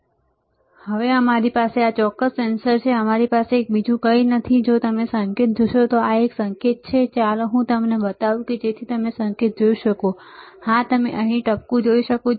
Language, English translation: Gujarati, So now we have this particular sensor, we have nothing but if you see the tip it a tip is so, let me show it to you so that you can see the tip, yes, yes, you can see the dot here right